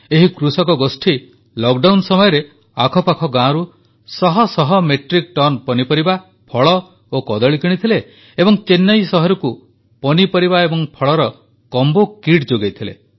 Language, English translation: Odia, This Farmer Collective purchased hundreds of metric tons of vegetables, fruits and Bananas from nearby villages during the lockdown, and supplied a vegetable combo kit to the city of Chennai